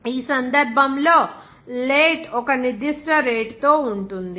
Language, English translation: Telugu, In this case, late will be there at a certain rate